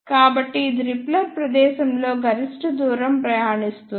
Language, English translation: Telugu, So, it will travel maximum distance in the repeller space